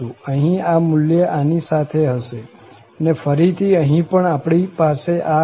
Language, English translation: Gujarati, So, here, this value will go along this and then again we have to have this again there